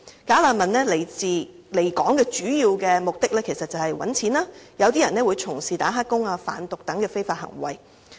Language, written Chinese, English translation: Cantonese, "假難民"來港的主要目的是賺錢，有些人會從事"打黑工"或販毒等非法行為。, Bogus refugees come to Hong Kong with the main aim of earning money . Some of them work as illegal workers or take part in other illegal activities like drug trafficking